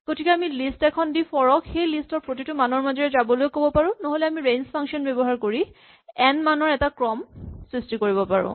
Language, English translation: Assamese, So, we can give a list and ask for to go through each value in that list or we can generate a sequence of n values by using the range function